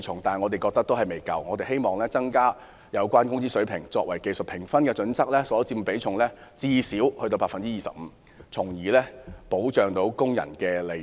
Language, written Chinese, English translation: Cantonese, 但是，這還未足夠，我們希望把工資水平納入技術評分準則，其所佔比重不少於 25%， 從而保障工人的利益。, However this is not enough . We hope that wage level which should account for no less than 25 % will be included in the criterion for technical assessment to protect the interests of workers